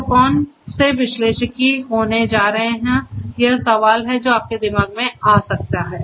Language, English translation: Hindi, So, which analytics are going to be done this might be a question that might come to your mind